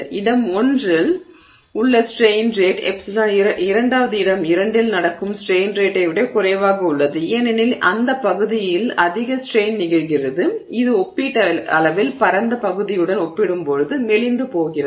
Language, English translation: Tamil, Therefore the strain rate at location 1, epsilon dot 1 is less than the strain rate that is happening at the second location, epsilon dot 2 because more strain is happening in that region which is thinned relative to the region that is relatively broad